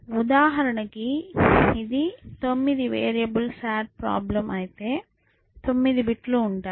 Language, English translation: Telugu, So, for example, if it is a sat problems with 9 variables then, there will be 9 bits essentially